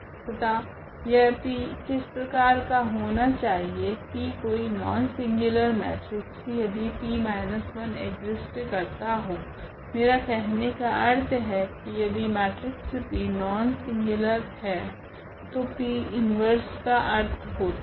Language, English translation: Hindi, And what to we have to we this P what is the P before some non singular matrix P, if there exists a matrix here this P inverse I mean, this non singular matrix P therefore, that P inverse make sense